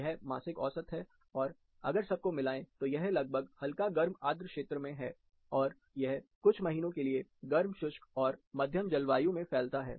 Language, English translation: Hindi, This is the monthly mean, if you connect them, more or less in warm humid, it also, it also spreads to warm dry, and moderate in certain months